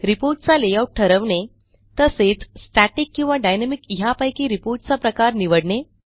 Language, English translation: Marathi, Select report layout and Choose report type: static or dynamic